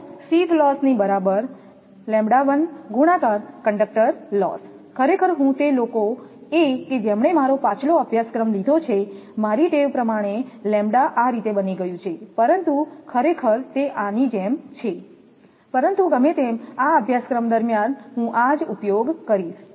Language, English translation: Gujarati, If sheath loss is equal to say, lambda 1 into conductor loss; actually I those who have taken my previous course, actually my habit has become lambda like this, but actually it is like this, but anyway throughout this I will use this